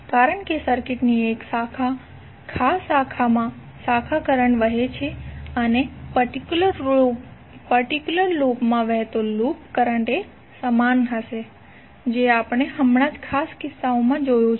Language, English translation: Gujarati, Because branch current flows in a particular branch of the circuit and loop will be same current flowing through a particular loop which we have just saw in the particular case